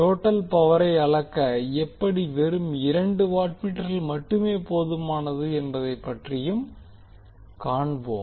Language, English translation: Tamil, So we will also see that how two watt meter is sufficient to measure the total power